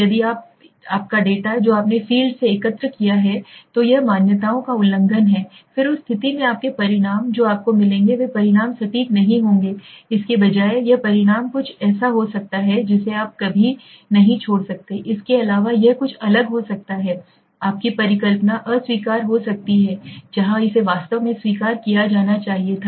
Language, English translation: Hindi, If you If your data which you have collected from the field is violating this assumptions right then in that condition your results that would come you will get the results might not be accurate right rather this results could be something which you never would except it could be something wrong your hypothesis might come rejected where it should have come actually accepted